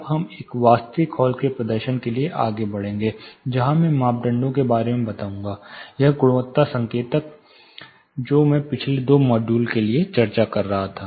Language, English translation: Hindi, Now we will move on to demonstration of an actual hall, where I will be talking about these parameters, this quality indicators which I had you know been discussing for the past two modules